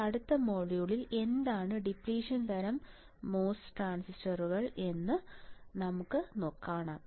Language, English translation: Malayalam, Now, in the next module we will see what is the depletion type mos transistor